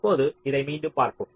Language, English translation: Tamil, now let us again look